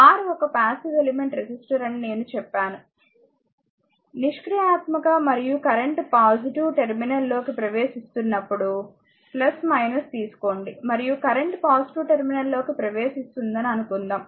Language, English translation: Telugu, I told you that R is a R is a passive element resistor is a passive element and current entering into the positive we have taken plus minus and assuming current entering a positive terminal